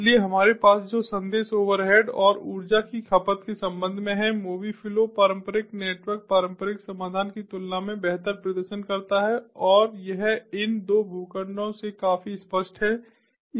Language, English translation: Hindi, so what we have is, with respect to message overhead and energy consumption, mobi flow performs better compared to the conventional network conventional solution and this is quite evident from these two plots